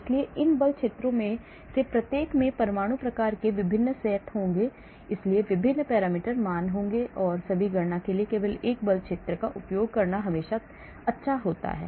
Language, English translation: Hindi, so each of these force fields will have different set of atom types so different parameter values so it is always good to use only one force field for all your calculation